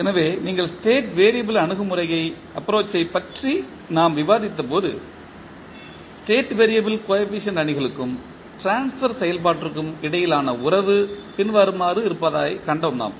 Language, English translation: Tamil, So, when you, we were discussing about the State variable approach we found that the relationship between State variable coefficient matrices and the transfer function is as follows